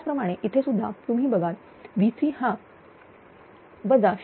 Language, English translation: Marathi, Similarly, here also V 3 if you look it is minus 0